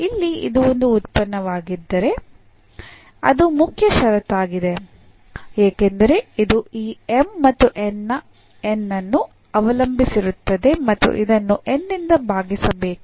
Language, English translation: Kannada, So, here if this is a function that is the main condition because it depends on this M and N and the divided by N